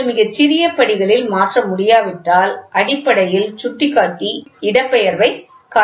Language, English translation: Tamil, So, if you cannot vary very small steps, then basically the pointer shows the displacement